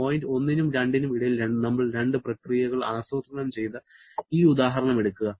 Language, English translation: Malayalam, Like take this example where we have plotted two processes between point 1 and 2